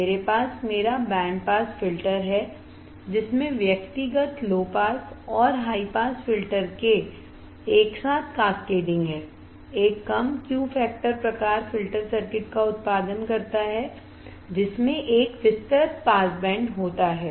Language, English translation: Hindi, I have my band pass filter, with this cascading together of individual low pass and high pass filters produces a low Q factor type filter circuit, which has a wide pass band which has a wide pass band